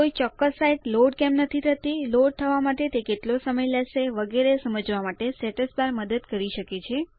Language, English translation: Gujarati, The Status bar can help you to understand why a particular site is not loading, the time it may take to load, etc